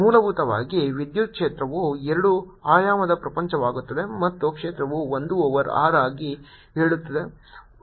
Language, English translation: Kannada, essentially, electric field becomes a two dimensional world and i know, indeed, there the field goes s over r